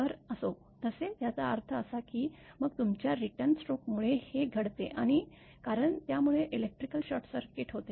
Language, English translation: Marathi, So, anyway so; that means, then this happens because of your return stroke because it makes the electrical short circuit